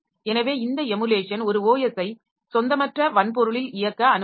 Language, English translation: Tamil, So, this emulation it can allow an OS to run on a non native hardware